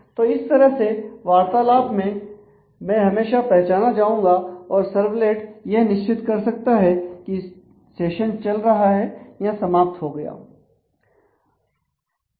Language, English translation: Hindi, So, that through an interaction I can continued to be identified and the servlet can check whether the session is on or the session is already over